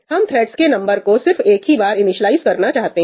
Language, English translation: Hindi, We want to initialize the number of threads only once